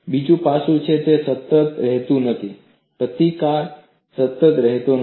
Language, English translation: Gujarati, Another aspect is, it does not remain constant; the resistance does not remain constant